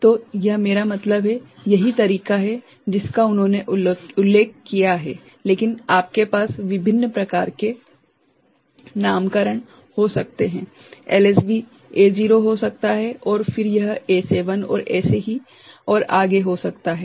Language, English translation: Hindi, So, this is I mean, that is the way they have mentioned it, but you can have different kind of nomenclature LSB could be A naught and then it could be A7 and so on and so forth